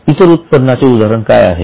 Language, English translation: Marathi, Now, what is an example of other income